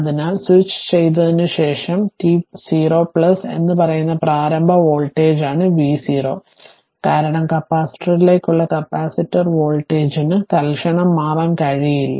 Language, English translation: Malayalam, So, v 0 is the initial voltage at say t is equal to 0 plus just after switching and because capacitor to capacitor the voltage cannot change instantaneously